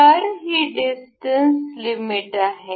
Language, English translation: Marathi, So, this is distance limit